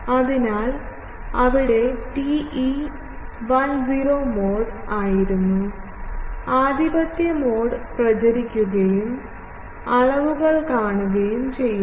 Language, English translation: Malayalam, So, inside there was TE 10 mode, dominant mode was propagating and you see the dimensions etc